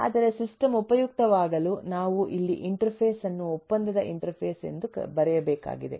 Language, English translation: Kannada, but for the system to be useful we need to put an interface in which I write here as contractual interface